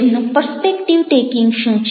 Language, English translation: Gujarati, what is their prospective taking